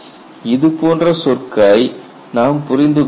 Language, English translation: Tamil, You need to understand this terminology